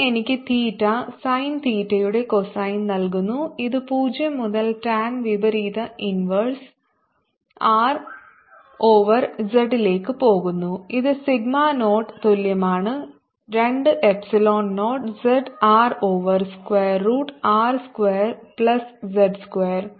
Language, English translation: Malayalam, this gives me cosine of theta sine theta, going from zero to tan inverse r over z, which is equal to sigma naught over two epsilon zero z r over square root of r square plus z square